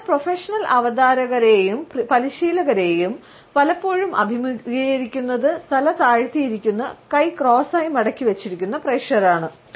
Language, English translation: Malayalam, So, professional presenters and trainers are often confronted by audiences who are seated with their heads down and arms folded in a cross